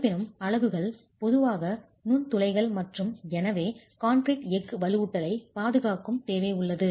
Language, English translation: Tamil, However, the units typically are porous and therefore there is a requirement that the concrete protects the steel reinforcement